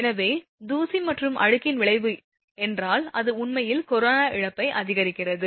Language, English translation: Tamil, So, if I mean if effect of dust and dirt actually it increases the corona loss